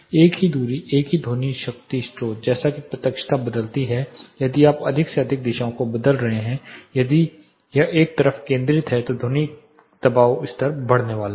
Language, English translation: Hindi, The same distance, the same sound power source as the directivity varies if you are curtailing more and more direction if it is focused on one side the sound pressure level is going to increase